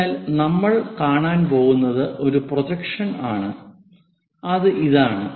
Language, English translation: Malayalam, So, what we are going to see is projection one this one